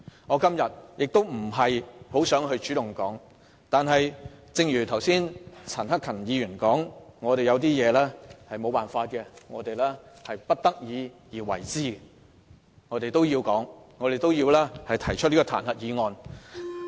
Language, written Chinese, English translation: Cantonese, 我今天本來不想主動發言，但正如剛才陳克勤議員所說，有些事情我們迫不得已而為之，因此我們要提出這項彈劾議案。, Initially I did not want to speak today but as Mr CHAN Hak - kan said sometimes we had no alternative but to take certain actions . For this reason we have to propose this impeachment motion